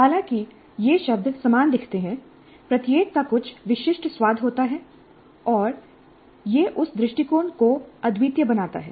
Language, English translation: Hindi, Though these terms do look similar, each has certain distinctive flavors and it makes that approach unique